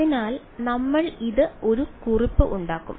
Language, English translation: Malayalam, So, we will just make a note of this